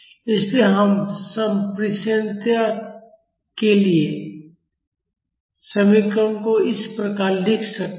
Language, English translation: Hindi, So, we can write the expression for transmissibility as this